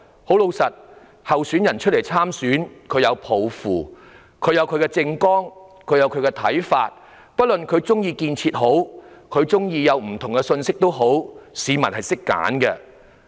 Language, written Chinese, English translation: Cantonese, 參選的候選人皆各有抱負、各有政綱，也有不同的看法，不管他們喜歡建設與否，市民自會懂得選擇。, All candidates standing for an election have their own aspirations election platforms and views and whether or not they like construction members of the public should know how to choose